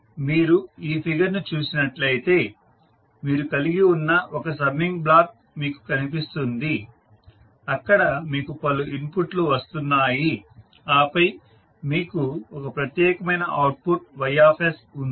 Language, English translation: Telugu, So, if you see this particular figure you will see one summing block you have where you have multiple inputs coming and then you have one unique output that is Ys